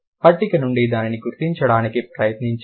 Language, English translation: Telugu, Try to recognize it from the table itself